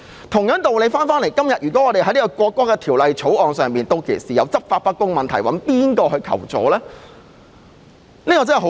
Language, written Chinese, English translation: Cantonese, 同樣道理，如果《條例草案》出現執法不公的問題，可以向誰人求助呢？, By the same token if the Bill gives rise to law enforcement problems from whom can we ask for help?